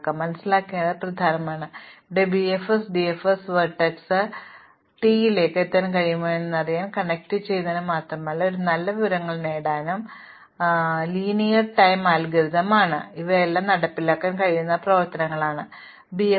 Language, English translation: Malayalam, So, it is important to realize therefore, that BFS and DFS is not just for connectivity, to finding out whether vertex s can reach vertex t, you can get a wealth of information and these are linear time algorithms and these are all operations which can be performed during BFS and DFS